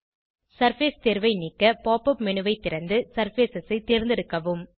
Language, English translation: Tamil, To turn off the surface option, open the Pop up menu, choose Surfaces